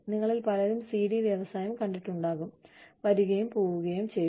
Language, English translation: Malayalam, Many of you, may have seen, the CD industry, come and go